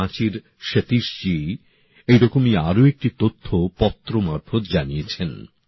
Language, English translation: Bengali, Satish ji of Ranchi has shared another similar information to me through a letter